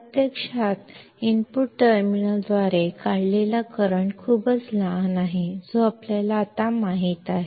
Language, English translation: Marathi, In reality, the current drawn by the input terminal is very small that we know that now